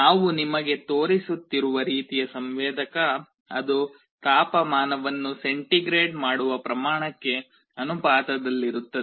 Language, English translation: Kannada, The kind of sensor that we shall be showing you, it will be proportional to the degree centigrade the temperature